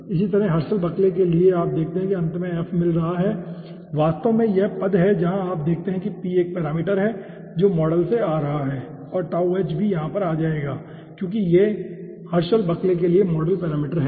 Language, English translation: Hindi, similarly, for herschel buckley, you see, will be finally getting f is actually this term where you see p is 1 parameter which is coming from the model, and tau h will be also coming over here because these are modal parameters for herschel buckley